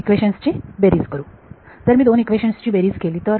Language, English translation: Marathi, Add these two equations if I add these two equations